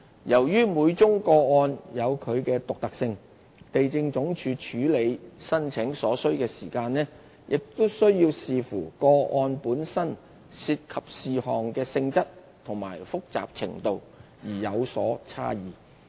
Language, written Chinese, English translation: Cantonese, 由於每宗個案有其獨特性，地政總署處理申請所需時間會視乎個案本身涉及事項的性質和複雜程度而有所差異。, Given the unique circumstances of each case the actual processing time taken by LandsD varies depending on the nature and complexity of the matters involved in the case itself